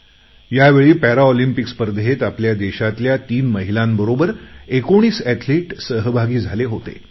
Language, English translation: Marathi, This time 19 athletes, including three women, took part in Paralympics from our country